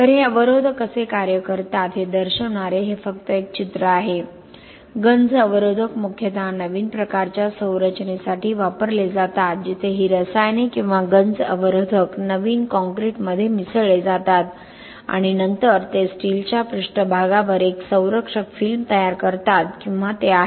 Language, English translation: Marathi, So this is just a picture showing how this inhibitors work, corrosion inhibitors mainly used for new type of structure where this chemicals or corrosion inhibitors are mixed with the new concrete and then they are supposed to form a protective film at the steel surface or they are supposed to control the rate of half cell reaction